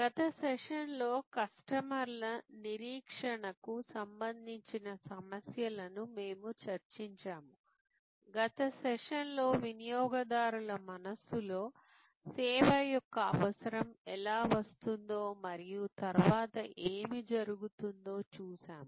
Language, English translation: Telugu, In the last session we discussed issues relating to customers expectation, in the last session we saw how the need of a service comes up in consumers mind and what happens there after